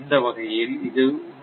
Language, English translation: Tamil, So, this is 1